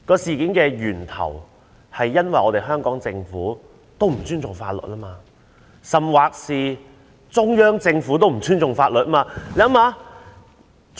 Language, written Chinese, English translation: Cantonese, 事件的起因在於香港政府本身也不尊重法律，甚或連中央政府也不尊重法律。, The cause lies in that the Hong Kong Government itself―or even the Central Government―has no respect for the law